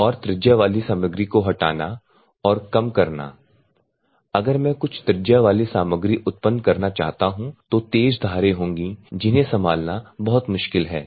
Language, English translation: Hindi, And generation of radii material removal and size reduction if what all I want to generate some radius; that means, that sharp edges are there you need to very difficult to handle